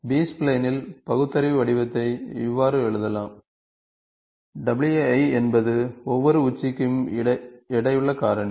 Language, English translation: Tamil, So, the rational form of B spline can be written in this form and where w or the weightages